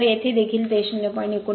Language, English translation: Marathi, So, here also it is your 0